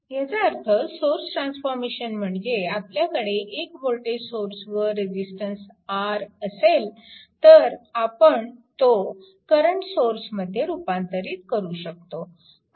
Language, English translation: Marathi, So, that means, this is the source transformation that means, from the your if you have a voltage source and resistance R like this, you can convert it into the current source right